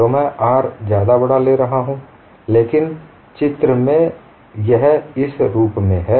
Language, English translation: Hindi, So I take r is much greater than a, but pictorially it is represented in this fashion